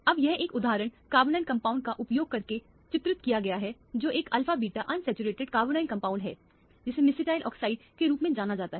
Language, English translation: Hindi, Now this is illustrated using an example the carbonyl compound which is an alpha beta unsaturated carbonyl compound which is known as mesityl oxide